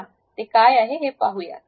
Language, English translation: Marathi, Let us look at that